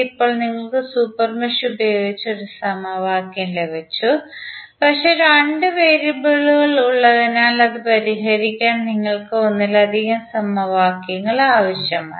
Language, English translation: Malayalam, Now, you have got one equation using super mesh but since we have two variables we need more than one equation to solve it